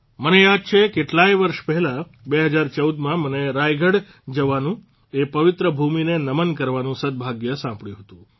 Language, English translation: Gujarati, I remember, many years ago in 2014, I had the good fortune to go to Raigad and pay obeisance to that holy land